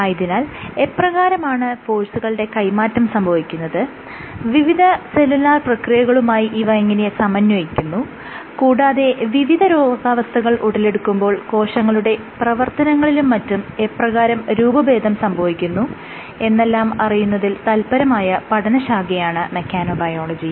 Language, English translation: Malayalam, So, in this field of mechanobiology we are interested in understanding how forces get transmitted, and how they are integrated for range of cellular processes, and how in the context of various diseases the functioning and the properties of cells get altered